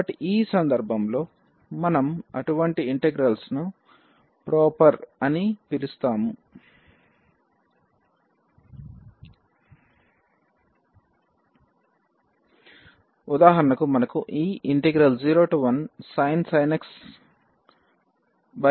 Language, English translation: Telugu, So, in this case we call such integrals proper integral or for example, we have 0 to 1 sin x over x dx